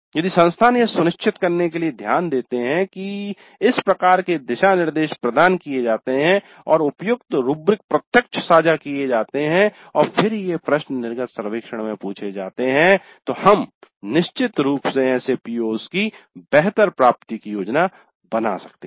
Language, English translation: Hindi, So, if the institutes take care to ensure that these kind of guidelines are provided, appropriate rubrics are shared up front and then these questions are asked in the exit survey, then we can definitely plan for better attainment of such POs